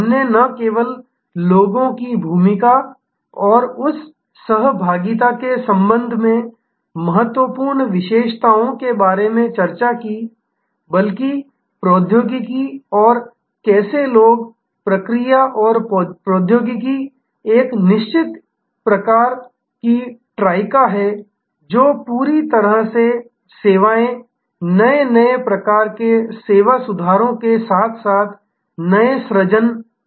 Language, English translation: Hindi, We discussed about the important features not only with respect to role of people and that interaction, but also technology and how people, process and technology firm a certain kind of Trica, which are interactively creating new different types of service improvements as well as creating new services altogether